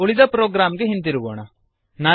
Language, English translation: Kannada, Now Coming back to the rest of the program